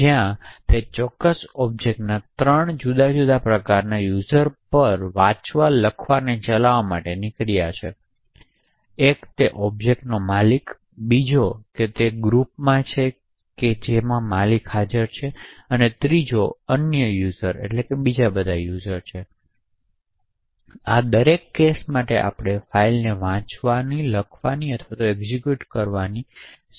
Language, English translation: Gujarati, Where we have the read, write, execute operations that are permitted on three different types of users of that particular object, one is the owner of the object, second is the group which the owner belongs to and the third or are all the other users, so for each of these cases we can specify whether the file can be read, written to or executed